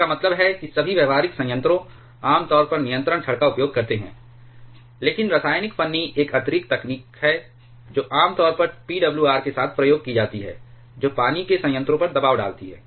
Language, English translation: Hindi, In means all practical reactors generally use control rods, but chemical shim is an additional technology that is used generally with PWR that is pressurized water reactors